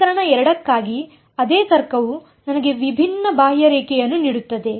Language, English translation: Kannada, For equation 2, the same logic will give me a different contour right